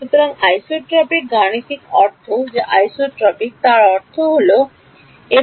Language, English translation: Bengali, So, what is isotropic mathematically means isotropic means that